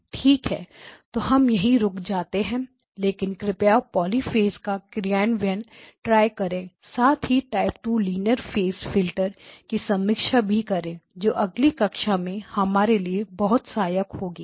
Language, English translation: Hindi, Okay so we stop here but please do try the poly phase implementation as well as a review of the type 2 linear phase filters that will be very helpful for us in the next class